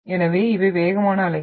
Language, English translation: Tamil, So these are the fastest waves